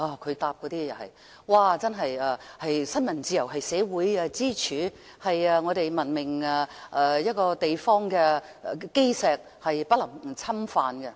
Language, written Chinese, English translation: Cantonese, 他當時的答覆指新聞自由是社會支柱，是文明地方的基石，是不能侵犯的。, His reply was that press freedom must not be infringed upon as it was the pillar of society and the cornerstone of a civilized place